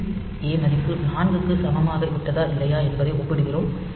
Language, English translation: Tamil, Then I value is implemented by 1, and we compare whether this a has become equal to 4 or not